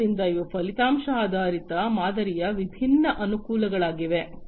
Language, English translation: Kannada, So, these are different advantages of the outcome based model